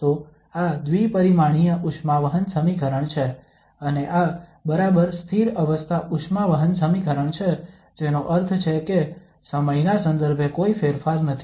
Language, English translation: Gujarati, So this is the second dimensional heat conduction equation and exactly the steady state heat conduction equation that means this, there is no change with respect to time